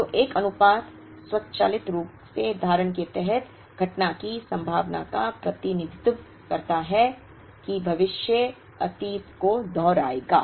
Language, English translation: Hindi, So, a proportion automatically represents the probability of occurrence under the assumption, that future will replicate the past